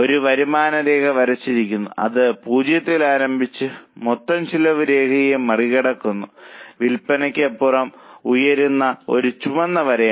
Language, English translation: Malayalam, A revenue line is also drawn that is a red line which starts with zero and goes up beyond a point crosses the total cost line